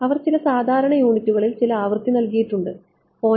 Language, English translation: Malayalam, They have given some frequency in some normalised units 0